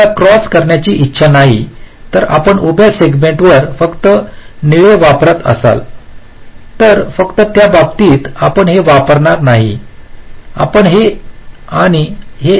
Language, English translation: Marathi, but if you do not want to cross, then you will be just using blue on the vertical segments and green on the green on the horizontal segments